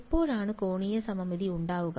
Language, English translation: Malayalam, When will there be angular symmetry